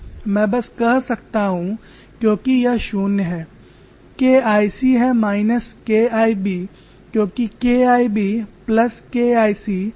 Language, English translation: Hindi, We can simply say it is zero because K 1 c is nothing but minus K 1 b as K 1 b plus K 1 c is equal to zero